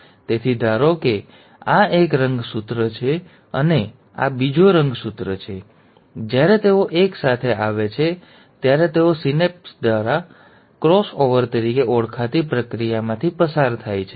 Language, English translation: Gujarati, So assume this is one chromosome, and this is another chromosome, when they come together, they tend to undergo a process called as synapse, or cross over